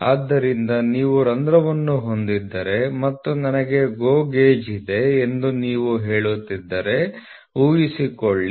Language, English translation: Kannada, So, suppose if you have a hole you have a hole and if you are saying that I have a GO gauge